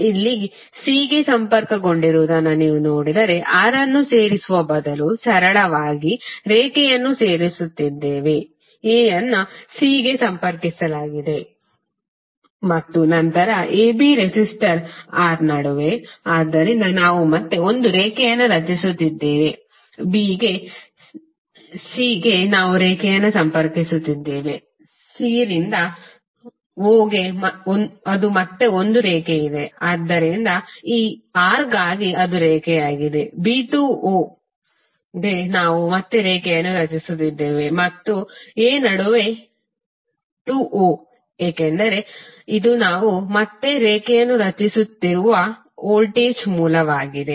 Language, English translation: Kannada, So here if you see a is connected to c, so instead of adding R we are simply adding the line, a is connected to c then between ab resistor R, so we are again creating a line, b to c we are connecting the line, c to o that is again we have one line, so for this R it is the line, for b to o we are again creating the line and between a to o because this is the voltage source we are again creating the line